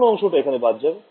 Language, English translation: Bengali, So, I should drop out which part